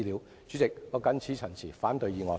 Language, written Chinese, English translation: Cantonese, 代理主席，我謹此陳辭，反對議案。, With these remarks Deputy President I oppose the motion